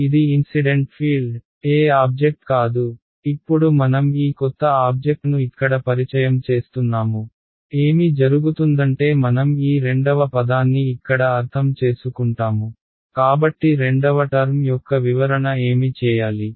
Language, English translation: Telugu, So, this is the incident field no object, now we introduce a new; now we introduce this object over here, what happens is I interpret this second term over here as so what should the interpretation of the second term